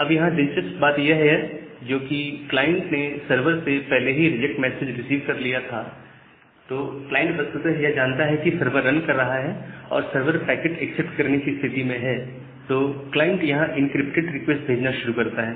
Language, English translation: Hindi, Now, here the interesting thing is that because the client has already received this reject message from the server, the client actually knows that the server is running, and the server is ready to accept packet